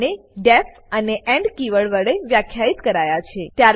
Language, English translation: Gujarati, They are both defined with the def and end keywords